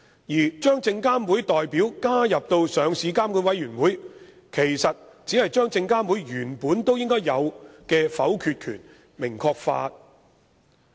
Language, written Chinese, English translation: Cantonese, 在上市監管委員會加入證監會代表，其實只是將證監會原本應該有的否決權明確化。, The sole purpose of including SFCs representatives in LRC is actually to increase the clarity of SFCs veto power which it already possesses